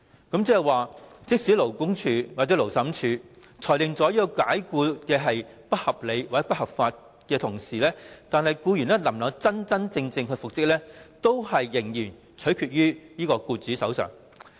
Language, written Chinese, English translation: Cantonese, 換言之，在勞工處或勞審處裁定有關解僱屬不合理及不合法時，僱員能否真正復職，仍然取決於僱主。, In other words even if the Labour Department or the Labour Tribunal has ruled that the dismissal was unreasonable and unlawful the decision of reinstating the employee still rests with the employer